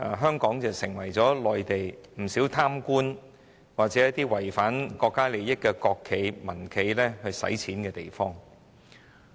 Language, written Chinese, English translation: Cantonese, 香港已成為內地不少貪官或罔顧國家利益的國企和民企洗錢的地方。, Hong Kong has become the place for money laundering by corrupt officials or national or private enterprises which show no regard for the countrys interests